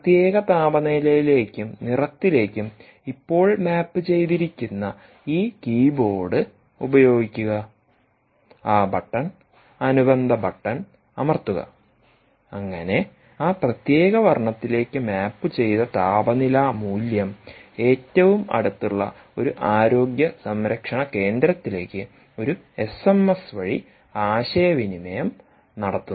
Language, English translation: Malayalam, use this keyboard, which is now mapped to that particular temperature and colour, and press that button, corresponding button, so that the temperature value which is mapped to that particular colour is communicated over an s m